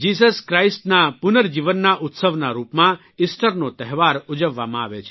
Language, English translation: Gujarati, The festival of Easter is observed as a celebration of the resurrection of Jesus Christ